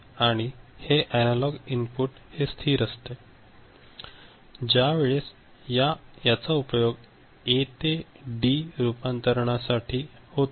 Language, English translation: Marathi, And this is analog input which is remaining constant when you are trying to make use of it in the A to D conversion